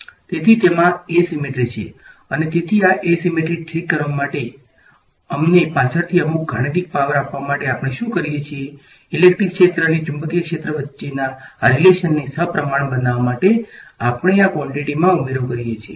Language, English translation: Gujarati, So, there is sort of asymmetry in it and so to fix this asymmetry to give us some mathematical power later on, what we do is we add to quantities to make these relations between electric field and magnetic field symmetric